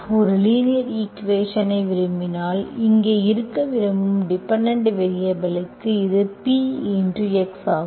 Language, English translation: Tamil, this is P x into whatever that dependent variable you want to be here if you want a linear equation